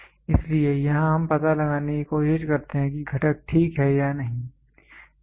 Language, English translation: Hindi, So, here we just try to figure out whether the component is ok or not